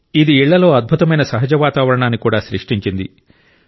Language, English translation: Telugu, This has led to creating a wonderful natural environment in the houses